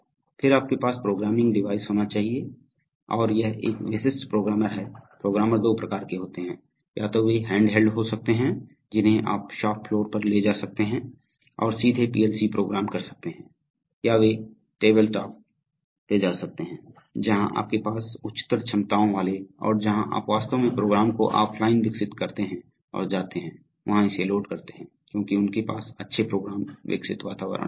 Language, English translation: Hindi, Then you have to have programming devices and this is a typical programmer, programmer are of two types, either they could be handheld which you can take to the shop floor and directly program the PLC or they could be tabletop where you have which are of higher capabilities and where you actually develop programs offline and maybe go and just load it there because these have very good program development environments also